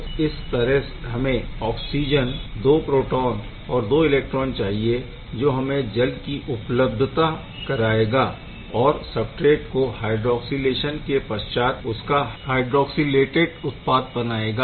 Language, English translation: Hindi, So, oxygen 2 proton 2 electron gives rise to this water and the substrate hydroxylated product